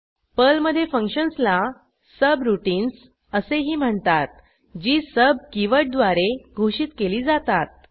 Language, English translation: Marathi, In Perl, functions, also called as subroutines, are declared with sub keyword